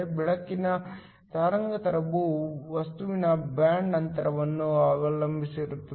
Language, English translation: Kannada, The wavelength of the light depends upon the band gap of the material